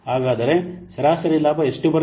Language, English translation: Kannada, So, average profit is coming to be how much